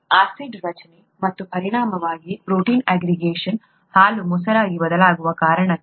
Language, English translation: Kannada, Acid formation and as a result, protein aggregation is what causes milk to turn into curd